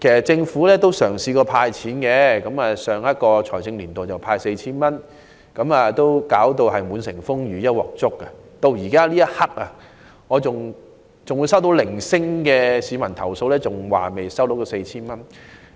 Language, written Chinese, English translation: Cantonese, 政府也曾派發現金，在上一財政年度派發了 4,000 元，但卻弄得滿城風雨及"一鑊粥"，我至今仍會收到零星的市民投訴，指出尚未收到這 4,000 元。, The Government has handed out cash as in the case of the 4,000 given in the last financial year but the exercise has aroused a huge uproar and ended up in a mess . Recently I have still received a few complaints recently from members of the public about not getting the money